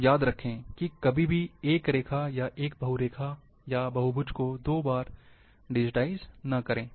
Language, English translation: Hindi, So, remember never digitize a line, or polyline, polygon twice